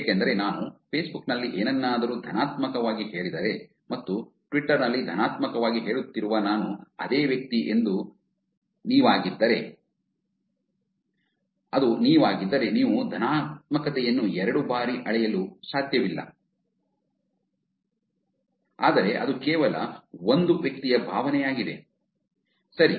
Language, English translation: Kannada, Because if I say something positive in Facebook and I am the same person who is saying positive in Twitter, it is not, you can't measure the positivity as twice, but it's only once because it's only one person's sentiment